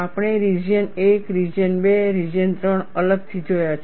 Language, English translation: Gujarati, We have seen separately region 1, region 2, region 3